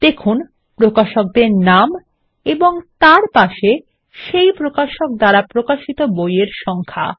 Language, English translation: Bengali, Notice the publisher names and the number of books by each publisher beside them